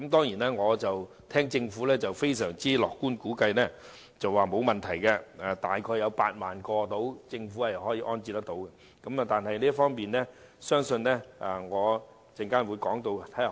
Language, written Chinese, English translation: Cantonese, 不過，政府卻非常樂觀地估計受影響的龕位只有約8萬個，並表示當局可以安置有關骨灰，不會有問題。, However the Government has optimistically estimated that only about 80 000 niches will be affected saying that the authorities will be able to accommodate the ashes concerned and there will be no problem